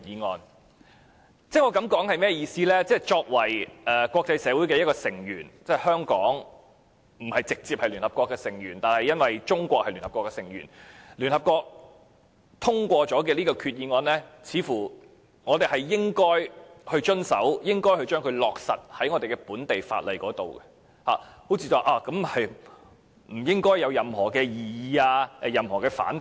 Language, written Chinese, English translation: Cantonese, 我的意思是，作為國際社會的其中一名成員，儘管香港並非直接屬聯合國的成員，但由於中國是聯合國成員，所以聯合國通過的決議，我們也應予以遵從，並在本地法例落實，這似乎不應該會引起任何異議或反對。, The Government stated that there is not a loophole . In case it is confirmed that some Hong Kong permanent residents have taken the above mentioned act considering that Hong Kong has to faithfully implement the Resolution of UNSC which requires the Hong Kong Government to forbid Hong Kong people from travelling to a foreign state and given that Taiwan and Macao are not foreign states no prohibition should be imposed . Second the situation should not warrant our concern